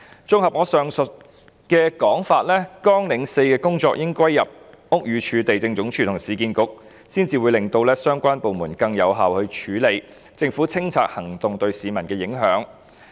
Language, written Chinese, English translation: Cantonese, 綜合我前述的說法，綱領4應歸入屋宇署、地政總署和市建局，才可以令相關部門更有效地處理因政府清拆行動對市民造成影響的工作。, Consolidating my remarks made at an earlier time Programme 4 should be placed under BD LandsD and URA to enable the relevant departments to handle more effectively the work of assisting members of the public affected by clearance actions of the Government